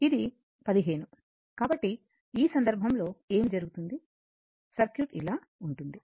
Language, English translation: Telugu, It is 15, so in this case what will happen the circuit will be like this